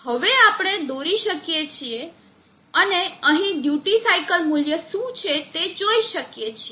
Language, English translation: Gujarati, Now we can plot and see what is the duty cycle value here